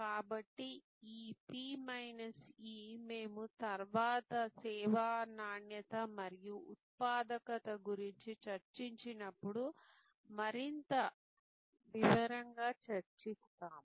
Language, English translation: Telugu, So, this P minus E which we will discuss in greater detail when we discuss service quality and productivity later on